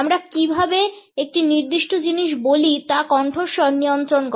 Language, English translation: Bengali, Voice controls how we say a certain thing